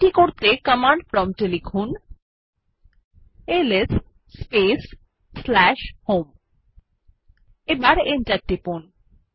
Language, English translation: Bengali, To do this, please type the at the command prompt ls / home and press Enter